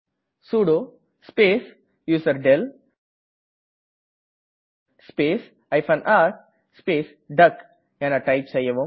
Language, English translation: Tamil, Here type sudo space userdel space r space duck